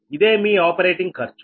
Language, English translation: Telugu, so this is that the operating cost